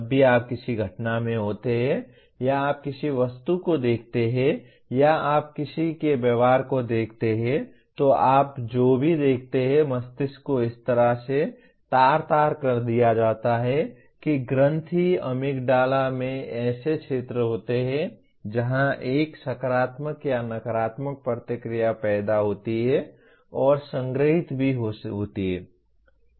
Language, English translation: Hindi, Anytime you are in an event or you look at an object or you anybody’s behavior, anything that you look at, the brain is wired in such a way the gland amygdala has regions where a positive or negative reaction is created and stored even